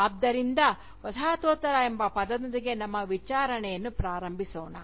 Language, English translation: Kannada, So, let us start our enquiry, with the term, Postcolonialism itself